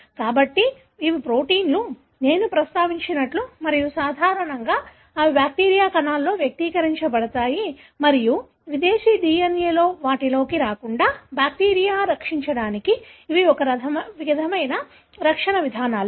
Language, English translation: Telugu, So, these are proteins, as I referred to and normally they are expressed in bacterial cells and these are some sort of defense mechanisms for the bacteria to protect from foreign DNA getting into them